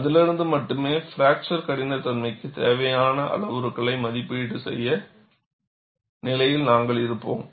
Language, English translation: Tamil, Only from that, you would be in a position to evaluate the parameters needed for fracture toughness determination